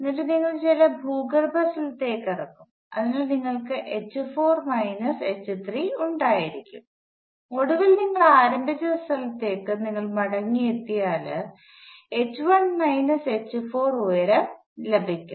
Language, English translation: Malayalam, And then maybe you will walk down to some underground place, so you will have h 4 minus h 3, and finally, you come back to where you started off with you will gain a height of h 1 minus h 4